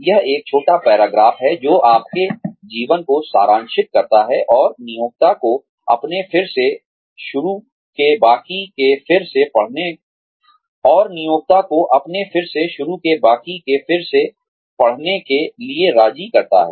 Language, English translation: Hindi, It is a short paragraph, that summarizes your life, and persuades the employer, to read the rest of your resume